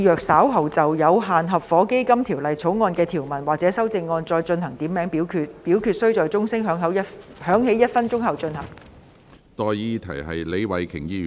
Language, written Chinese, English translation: Cantonese, 我命令若稍後就《有限合夥基金條例草案》的條文或其修正案進行點名表決，表決須在鐘聲響起1分鐘後進行。, I order that in the event of further divisions being claimed in respect of any provisions of or any amendments to the Limited Partnership Fund Bill this committee of the whole Council do proceed to each of such divisions immediately after the division bell has been rung for one minute